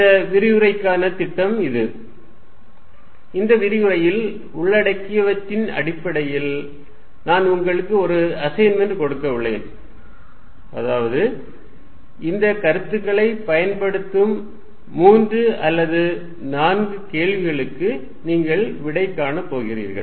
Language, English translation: Tamil, This is the program for this lecture and based on what we cover today I am also going to give you an assignment, where you solve three or four problems employing these concepts